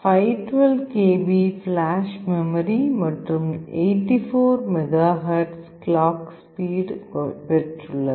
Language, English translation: Tamil, It has got 512 KB of flash memory, clock speed of 84 MHz